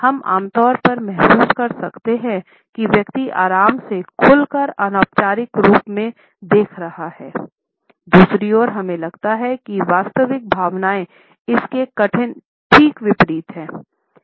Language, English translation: Hindi, We normally may feel that the person is looking as a relaxed open an informal one, on the other hand we feel that the actual emotions are just the opposite